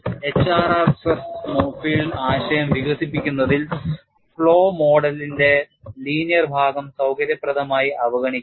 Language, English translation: Malayalam, In the development of HRR stress field concept the linear portion of the flow model is conveniently ignored